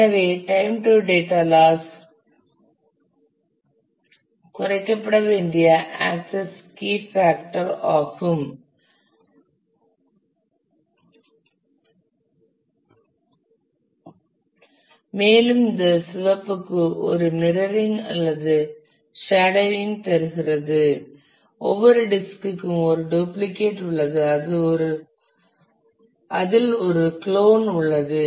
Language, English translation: Tamil, So, mean time to data loss is the actual key factor which needs to be minimized and for this red does a mirroring or shadowing that is for every disk there is a duplicate there is a clone